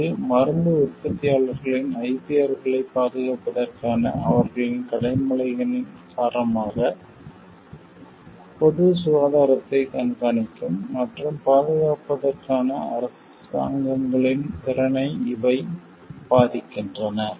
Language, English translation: Tamil, These affects the ability of the governments to monitor and protect public health because of their obligations to protect of the IPRs of these medicines producers